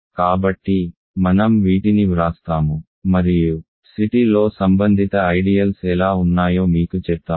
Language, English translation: Telugu, So, I will write down these and then I will tell you how to what are the corresponding ideals in C t